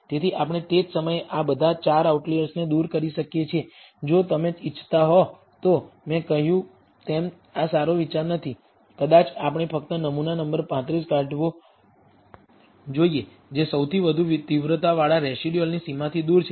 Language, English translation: Gujarati, So, we can remove all these 4 outliers at the same time, if you want as I said that is not a good idea perhaps we should remove only sample number 35 which has furthest away from the boundary with the residual with the largest magnitude